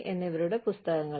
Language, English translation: Malayalam, So, same books